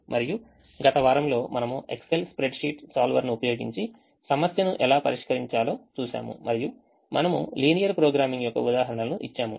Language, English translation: Telugu, and the last week we look at how to solve this problem using an excel spreadsheet, solver, and we give examples of linear programming